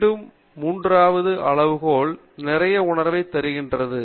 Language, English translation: Tamil, And again, the third criterion also makes a lot of sense